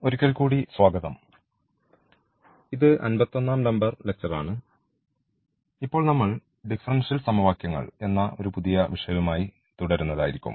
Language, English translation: Malayalam, Welcome back so this is a lecture number 51 and we will now continue with a new topic now on differential equations